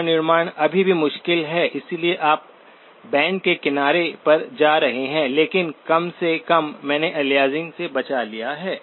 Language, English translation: Hindi, Reconstruction is still tricky because you are going all the way to the band edge but at least, I have avoided aliasing